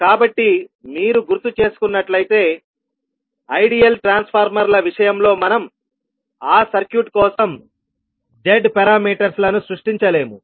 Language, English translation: Telugu, So, if you recollect that we discussed that in case of ideal transformers we cannot create the z parameters for that circuit